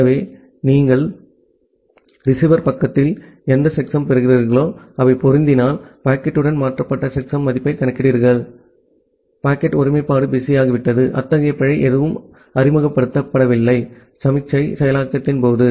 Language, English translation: Tamil, So, because of that so whatever checksum you are getting at the receiver side you compute the checksum value that has been transferred with the packet if they matches, that means, the packet integrity got fizz up, there was no such error that has been introduced during signal processing